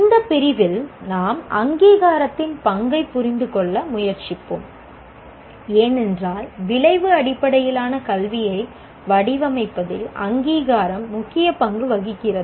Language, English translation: Tamil, Now, in this unit, we will try to understand the role of accreditation because accreditation plays a major role in terms of designing outcome based education as well